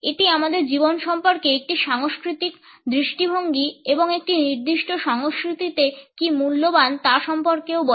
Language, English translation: Bengali, It also tells us about a culture’s approach to life and what is valuable in a particular culture